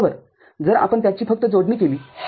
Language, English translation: Marathi, So, if you just connect it